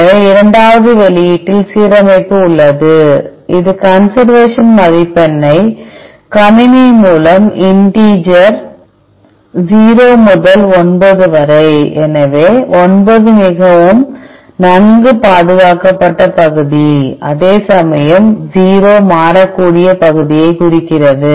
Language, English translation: Tamil, So, the second output contains the alignment itself, along with the conservation score the score here, it is not the, what we computer it is a integer from 0 to 9 so, 9 is very well conserved region whereas, 0 represent the variable region